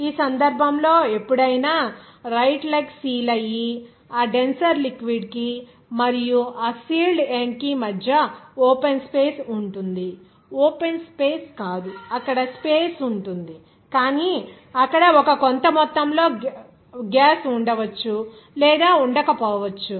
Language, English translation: Telugu, There in this case whenever there will be any seal of that, right leg there, so in between that denser liquid and that sealed end there will be an open space, not open space, it will be a space there, but there will be a certain amount of gas may be present or may not be present